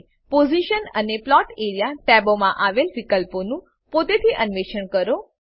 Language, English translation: Gujarati, Explore the options in Position and Plot area tabs on your own